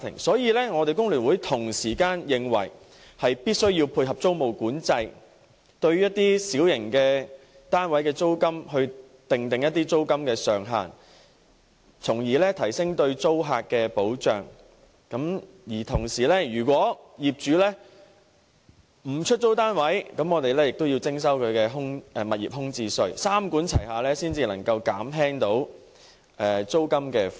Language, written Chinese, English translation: Cantonese, 所以，工聯會認為必須配合租務管制，訂定一些小型單位的租金上限，提升對租客的保障，如果業主不肯出租單位，便向他們徵收物業空置稅，三管齊下，才能減輕市民的租金負擔。, Therefore FTU thinks that tenancy control should also be implemented to cap the rent of small units so as to enhance the protection of tenants . For those landlords who refuse to let out their flats the Government should impose a vacant residential property tax on them . Only by taking this three - pronged approach can the peoples rental burden be eased